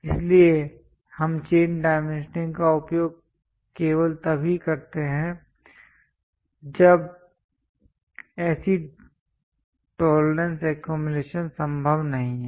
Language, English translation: Hindi, So, we use chain dimensioning only when such tolerances accumulation is not possible